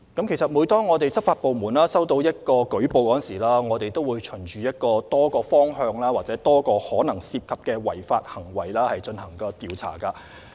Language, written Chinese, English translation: Cantonese, 其實，每當執法部門收到舉報，他們會循多個方向或多個可能涉及的違反行為進行調查。, In fact when law enforcement agencies receive a report of sanction violation they will investigate in several directions or several likely areas of violation